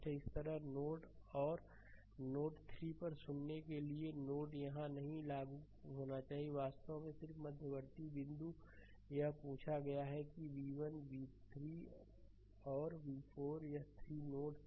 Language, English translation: Hindi, So, similarly similarly at node 3 and node node 3 and node for listen this is not here should not apply this is actually just intermediate point you have been asked this is v 1 v 3 and v 4 this 3 nodes are there